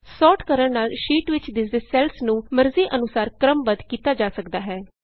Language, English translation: Punjabi, Sorting arranges the visible cells on the sheet in any desired manner